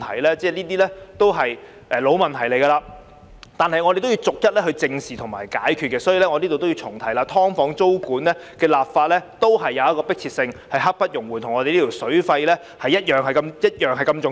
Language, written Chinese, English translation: Cantonese, 這些已經是老問題，我們要逐一正視和解決，所以，我要在此重提，"劏房"租管的立法有迫切性，是刻不容緩的，跟這項與水費有關的《條例草案》同樣重要。, All these are long - standing issues that require us to tackle head - on one by one and I thus wish to reiterate the urgency and pressing need for legislation on tenancy control of subdivided units . This is just as important as this Bill which concerns water fees